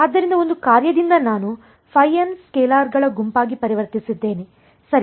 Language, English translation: Kannada, So, from a function I have converted to a set of scalars phi n right